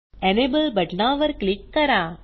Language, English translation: Marathi, Click on the Enable button